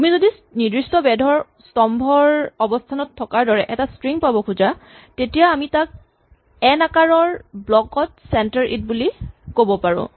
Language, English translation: Assamese, So if you want to have a string which is positioned as a column of certain width then we can say that center it in a block of size n